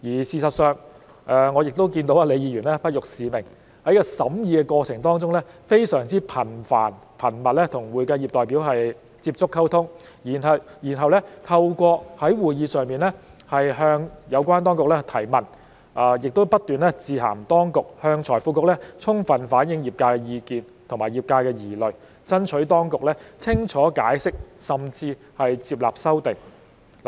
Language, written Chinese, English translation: Cantonese, 事實上，我也看到李議員不辱使命，在這個審議過程當中，她非常頻繁、頻密地與會計業的代表接觸、溝通，然後透過在會議上向有關當局提問，以及不斷致函當局向財經事務及庫務局充分反映業界的意見和疑慮，爭取當局清楚解釋，甚至是接納修訂。, In fact I have also noticed that Ms LEE has successfully accomplished her mission . During the deliberation process she maintained frequent contact and communication with representatives of the accounting profession . Subsequently she fully reflected the views and concerns of the profession to the Financial Services and the Treasury Bureau FSTB through raising questions to the relevant authorities at the meetings and writing to the authorities continuously so as to urge the authorities to give a clear account and even accept the amendments